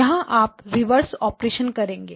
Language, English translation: Hindi, You would do the inverse operation